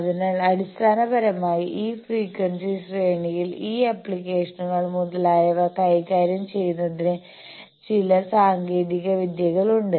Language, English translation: Malayalam, So, basically these frequency range we have certain techniques to handle these applications, etcetera